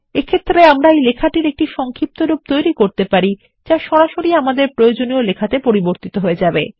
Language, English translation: Bengali, Then we can create an abbreviation which will directly get converted into our required text